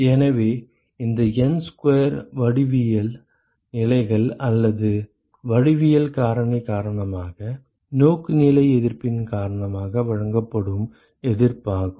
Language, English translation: Tamil, So, this N square is the resistance offered because of orientation resistances due to geometric positions or geometric factor